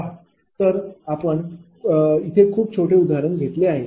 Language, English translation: Marathi, Look, we have taken a very small example, right